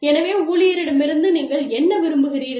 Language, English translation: Tamil, So, what do you want, from the employee